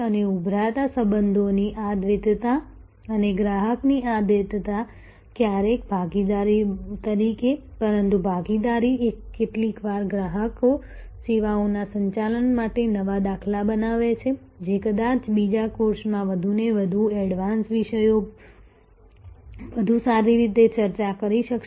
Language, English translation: Gujarati, And this duality of a emerging relationships and this duality of customer sometimes as partnership, but partnership sometimes as customers create new paradigms for services management, which perhaps in an another course one more advance topics will be able to discuss better